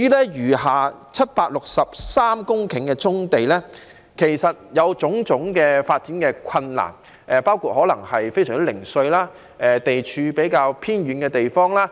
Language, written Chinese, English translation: Cantonese, 至於餘下763公頃的棕地，在發展上有很多困難，包括非常零碎及地處較偏遠的地方。, As for the remaining 763 hectares there will be a lot of difficulties if they are used for development including the scattered and remote location